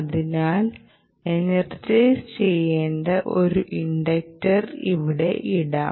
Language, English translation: Malayalam, so let us put an inductor here which requires to be energized